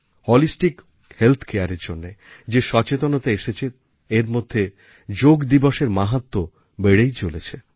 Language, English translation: Bengali, The awareness about Holistic Health Care has enhanced the glory of yoga and Yoga day